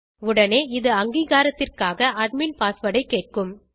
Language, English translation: Tamil, It will immediately prompt you for the admin password for authentication